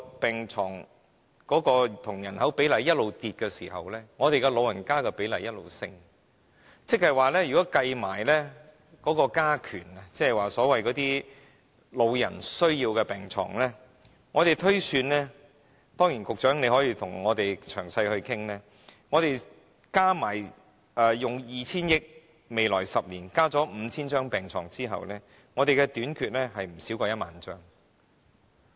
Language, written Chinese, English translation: Cantonese, 病床對人口比例一直下跌，長者的人口比例卻一直上升，如果計算"加權"在內，即包括"長者需要的病床"，我們推算——當然，局長可以與我們詳細討論——加上用 2,000 億元在未來10年增加 5,000 張病床後，病床仍會短缺不少於1萬張。, The bed - population ratio keeps dropping while the proportion of elderly population keeps rising . If weighting is added to this that is the beds needed by elderly people are included we project that―of course the Secretary may discuss with us in detail―there will be a shortfall of no less than 10 000 beds even counting in the 5 000 additional beds in the next 10 years under the 200 billion provision